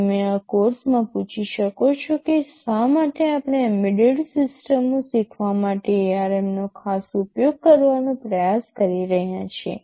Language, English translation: Gujarati, You may ask in this course why are you we specifically trying to use ARM as the vehicle for teaching embedded systems